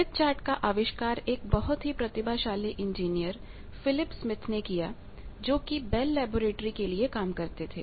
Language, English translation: Hindi, Smith chart was invented by Phillip Smith; a brilliant engineer was working in Bell laboratory